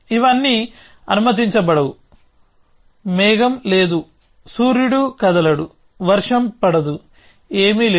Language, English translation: Telugu, All this is not allowed, there is no there no cloud, there is no sun moving around, there is no rain falling, nothing